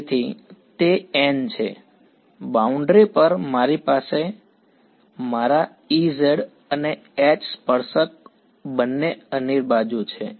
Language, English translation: Gujarati, So, those are those n, on the boundary I have my H z and E tan both are undetermined